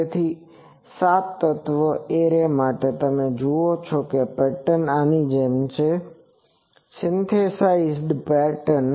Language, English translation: Gujarati, So, for a seven element array, you see the pattern is like this, the synthesized pattern